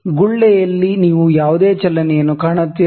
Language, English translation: Kannada, Do you find any movement in the bubble